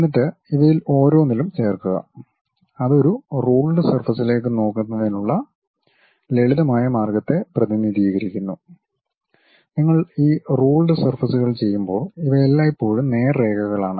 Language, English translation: Malayalam, Then join each of these thing, that represents a simplistic way of looking at a rule surface and when you are doing this rule surfaces these are always be straight lines the rule what we have